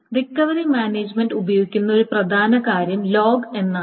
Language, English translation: Malayalam, So the important thing that the recovery management then uses is something called the log